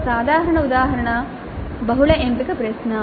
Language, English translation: Telugu, A typical example would be a multiple choice question